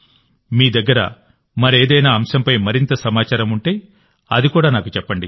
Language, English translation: Telugu, If you get any more information on any other subject, then tell me that as well